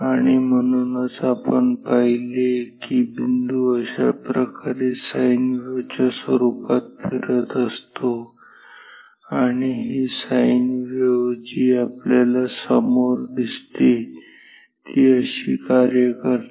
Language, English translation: Marathi, And therefore, we saw that the spot moves in the form of a sine wave like this and this sine wave appears in front of us that is how it works